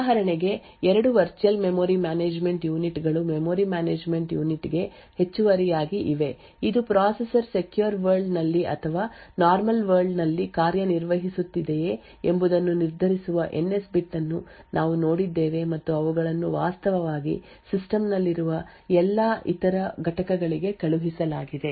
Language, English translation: Kannada, So for example there are two virtual memory management units that are present in addition to the memory management unit which we have seen the NS bit which determines whether the processor is running in secure world or normal world and they actually sent to all other components present in the system